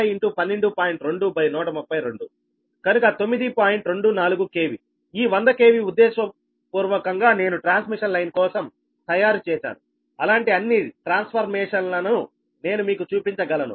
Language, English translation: Telugu, this hundred k v, intentionally i have made it for transmission line such that i can show you all the transformation